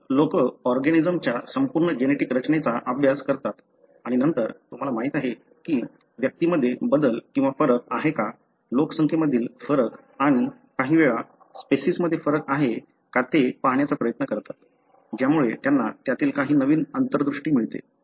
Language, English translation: Marathi, 0016128057197 So, people study the entire genetic makeup of organisms and then try to, you know, see if there are changes or variation within individuals, variation between populations and at times between species that would give you some novel insight